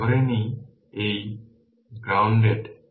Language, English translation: Bengali, If you assume this is grounded